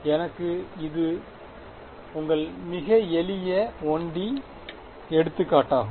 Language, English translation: Tamil, So, this is your very simple 1 D example right